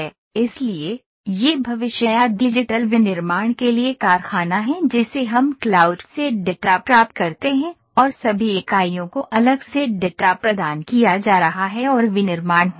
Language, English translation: Hindi, So, this is the factory for future or digital manufacturing we get data from the cloud and the data is being provided to all the units separately and the manufacturing is happening